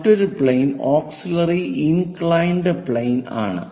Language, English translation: Malayalam, The other plane is auxiliary inclined plane